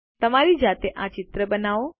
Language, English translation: Gujarati, Create this picture on your own